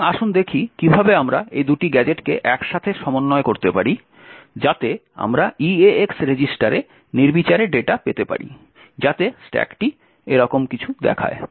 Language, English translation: Bengali, So, let us see how we can stitch these two gadgets together so that we can get arbitrary data into the eax register so the stack would look something like this